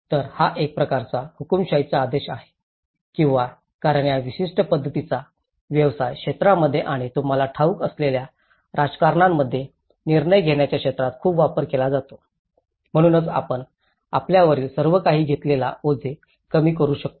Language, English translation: Marathi, So, it is like a kind of dictatorial order or because this particular approaches are very much used in the business sector and also the decision making sector in the politics you know, so this is how we can actually reduce our burden taking everything on our own so how we can actually decentralized